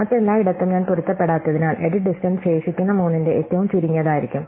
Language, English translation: Malayalam, Everywhere else, because I do not match, the edit distance is just going to be the minimum of the remaining three